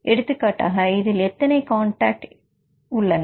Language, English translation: Tamil, For example in this case T 1 how many contacts T 1 has